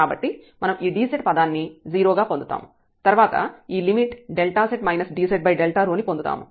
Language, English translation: Telugu, So, we will get this dz term as 0, and then this limit delta z over dz over delta rho